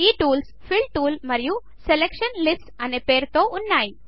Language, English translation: Telugu, These tools are namely, Fill tool, Selection lists